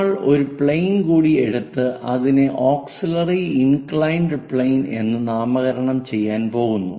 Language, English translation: Malayalam, So, we call that one as auxiliary inclined plane